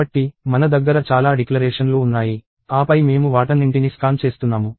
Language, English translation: Telugu, So, I have so many declarations and then I go on and scan all of them